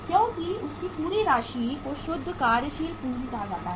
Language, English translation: Hindi, Because their entire amount is called as the net working capital